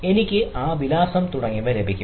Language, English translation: Malayalam, so i can, i got that ah address, etcetera